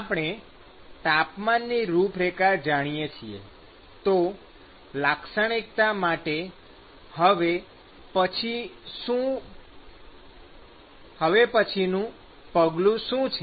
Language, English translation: Gujarati, We know the temperature profile, what is the next step in characterizing